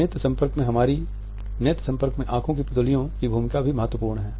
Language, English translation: Hindi, Role of pupils in eye contact is also important